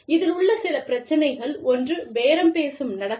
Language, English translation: Tamil, Some issues in this are, one is the bargaining behavior